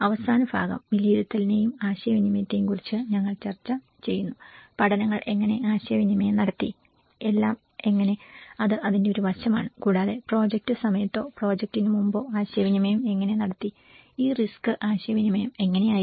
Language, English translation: Malayalam, And the last part, we are discussed about the assessment and the communication, how the learnings has been communicated and how all, that is one aspect of it and also internally during the project or before the project, how this risk communication has been